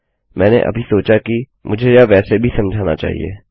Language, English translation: Hindi, I just thought I should explain this anyways